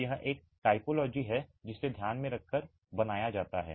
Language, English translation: Hindi, So, this is a typology to be considered carefully